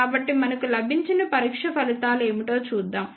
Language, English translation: Telugu, So, let us see what are the test results we got